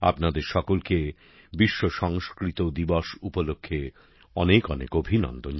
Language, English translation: Bengali, Many felicitations to all of you on World Sanskrit Day